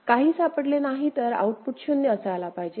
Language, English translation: Marathi, Of course, no bit is detected output should be 0